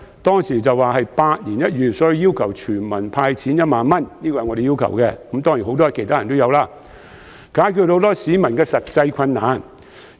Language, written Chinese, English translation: Cantonese, 當時的情況可說是百年一遇，所以我和許多其他人都要求全民"派錢 "1 萬元，以解決很多市民的實際困難。, The terrible situation back then was said to be once in a century . I and many others thus called for a universal cash handout of 10,000 to ease the difficulties facing the masses